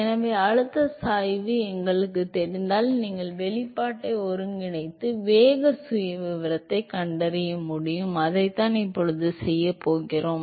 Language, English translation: Tamil, So, if we know the pressure gradient you should be able to integrate the expression and find the velocity profile and that is what we are going to do now